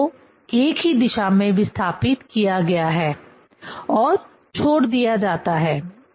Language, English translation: Hindi, Both are displaced in the same direction and leave it